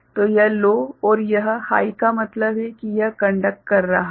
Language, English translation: Hindi, So, this is low means this is high means this is conducting